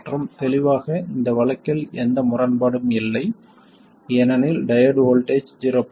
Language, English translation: Tamil, And clearly in this case there is no contradiction because the diode voltage is 0